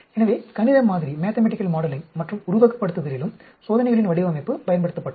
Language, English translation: Tamil, So, design of experiments was also started being used in mathematical modeling and simulation also